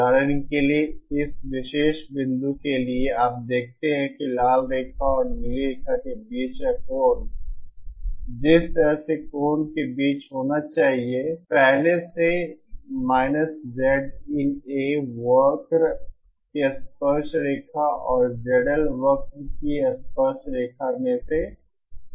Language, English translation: Hindi, So for example, for this particular point, you see that the angle between the red line and the blue line, the angle by the way has to be between the , first it has to start from the tangent of the Z in A curve and in the tangent of the Z L curve